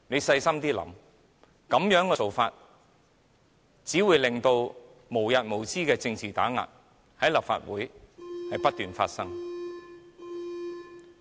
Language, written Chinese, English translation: Cantonese, 細心想想，這樣做只會導致無日無之的政治打壓，在立法會內不斷發生。, Think about it carefully . Such an act will only give rise to endless continued political suppression in the Legislative Council